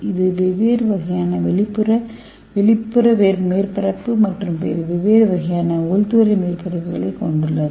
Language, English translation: Tamil, so it has the different kind of exterior and different kind of interior